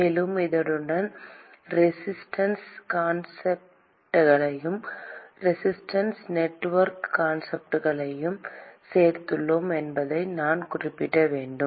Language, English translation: Tamil, And I should also mention that we included resistance concepts alng with this, the resistance network concepts alng with these